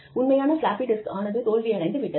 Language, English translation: Tamil, And the actual floppy disk, that flopped is, it has really flopped